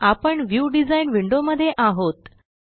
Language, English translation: Marathi, Now, we are in the View design window